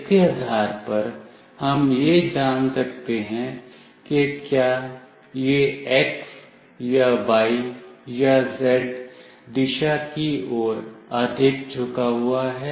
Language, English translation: Hindi, Based on that we can accurately find out whether it is tilted more towards x, or y, or z direction